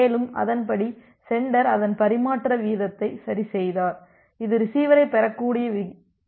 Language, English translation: Tamil, And, accordingly the sender adjusted its rate of transmission, such that it does not overshoot the rate at which the receiver can receive